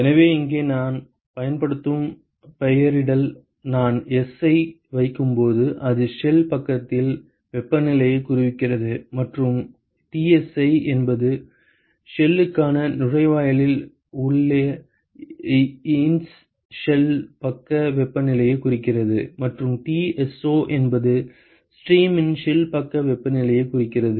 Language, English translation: Tamil, So, here the nomenclature I will use is when I put S it stands for temperature on the shell side and Tsi stands for the ins shell side temperature at the inlet to the shell and Tso stands for the shell side temperature of the stream that is actually going out of the shell side